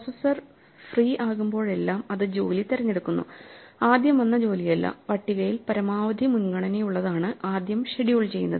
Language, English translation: Malayalam, So, whenever the processor is free it picks the job, not the job which arrived earliest, but the one with maximum priority in the list and then schedules it